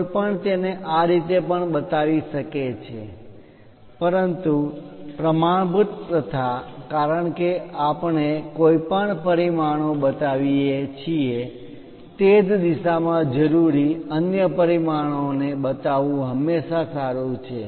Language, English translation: Gujarati, One can also show it in this way, but the standard practices because anyway we are showing one of the dimension, it is always good to show the other dimension required also in the same direction